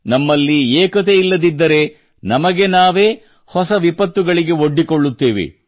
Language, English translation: Kannada, If we don't have unity amongst ourselves, we will get entangled in ever new calamities"